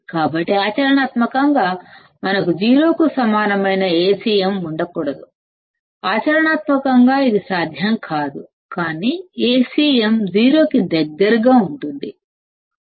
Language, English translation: Telugu, So, practically we cannot have Acm equal to 0; practically this is not possible, but Acm can be close to 0